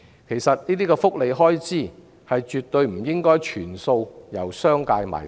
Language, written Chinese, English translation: Cantonese, 其實，這些福利開支絕對不應該全數由商界"埋單"。, As a matter of fact such welfare expenses should never be totally borne by the business sector alone